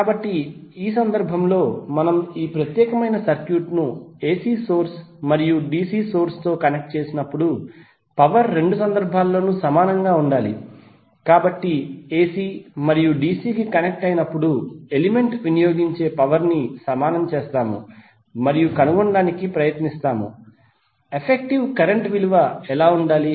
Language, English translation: Telugu, So in that case when we connect this particular circuit to AC source and DC source the power should be equal in both of the cases, so we will equate the power consumed by the element when it is connected to AC and VC and try to find out what should be the value of effective current